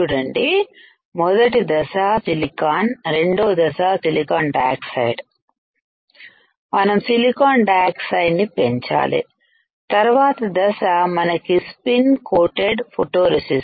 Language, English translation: Telugu, S ee first step is silicon, next step is silicon dioxide we have grown silicon dioxide, next step is we have spin coated photoresist